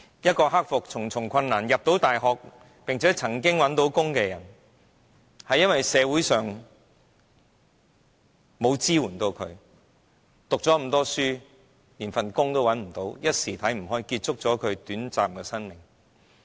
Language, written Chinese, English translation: Cantonese, 一個克服重重困難進入大學學習，並曾經找到工作的人，因為社會沒有向她提供支援，即使讀了這麼多書，連一份工作也找不到，一時想不開，便結束了短暫的生命。, LI having hurdled all kinds of obstacles managed to get admitted to university and was then employed for some brief periods of time . Society did not provide much support to her . Though highly - educated she could not find a stable job and finally in a moment of weakness she chose to end her brief life